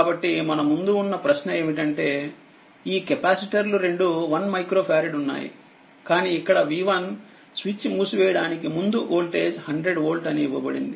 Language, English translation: Telugu, So, question is that before you this this you here what you call this one micro farad both are one micro farad each, but here v 1 is voltage is given before switch is closed it is 100 volt, but here v 2 is equal to 0